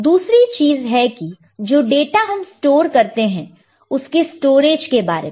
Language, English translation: Hindi, The other thing is the data that is storage the storage of data that you have stored